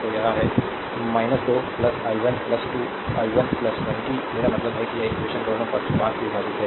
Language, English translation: Hindi, So, it is minus 2 plus i 1 plus 2 i 1 plus 20 I mean this equation both side divided by your 5